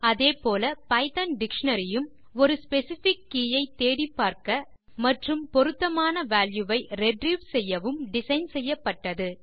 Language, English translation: Tamil, Similarly, Python dictionary is also designed to look up for a specific key and retrieve the corresponding value